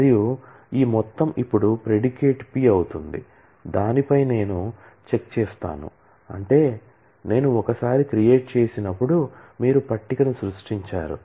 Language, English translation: Telugu, And this whole thing now becomes the predicate P on which I give a check which means that, whenever I am creating once, you have created the table